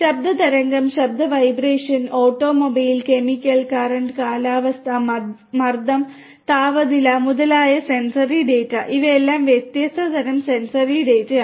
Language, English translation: Malayalam, Sensory data such as sound wave, voice, vibration, automobile, chemical, current, weather, pressure, temperature, etcetera, etcetera, etcetera these are all these different types of sensory data which will have to be acquired